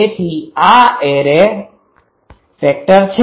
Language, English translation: Gujarati, This is the array axis